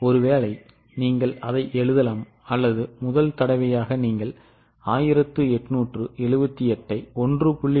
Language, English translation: Tamil, Maybe you can write it down since it's the first time you are doing 1878 into 1